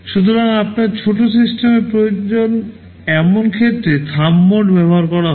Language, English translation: Bengali, So, Thumb mode is used for such cases where you need small systems